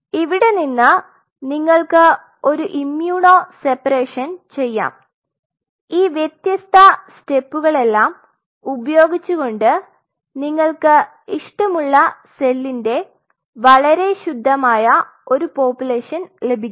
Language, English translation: Malayalam, Then from there you can do an immuno separation you see all these different steps by virtue of which you can get a very pure population of the cell of your choice